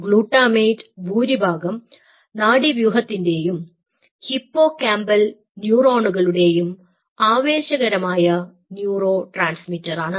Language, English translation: Malayalam, glutamate is an excitatory neurotransmitters and most of the nervous system or the hippocampal neurons